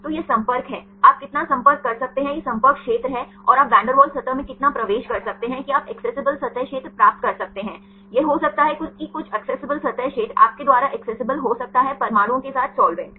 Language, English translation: Hindi, So, this is the contact, how much you can contact this is the contact area and how much you can penetrate into the van der Waals surface that you can get the accessible surface area, that can be that some accessible surface area you can accessible by the solvent with the atoms